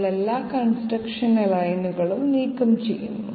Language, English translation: Malayalam, We remove all the construction lines